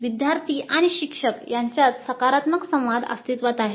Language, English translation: Marathi, Positive interaction between the students and instructor existed